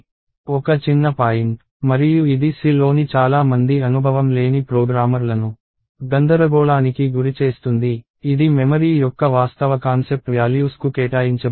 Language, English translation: Telugu, So, one minor point and this is something that many novice programmers in C mess up is the actual notion of memory allocated to values